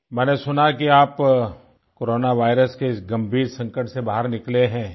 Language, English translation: Hindi, I have come to know that you have freed yourself from the clutches of the Corona virus